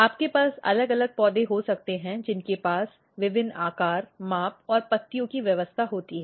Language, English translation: Hindi, So, you can have different plants having a different shape, different size, different arrangements of the leaves